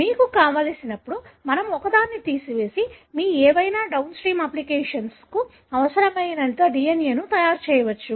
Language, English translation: Telugu, Whenever you want, we can pull out one and make as much DNA that you require for any of your downstream applications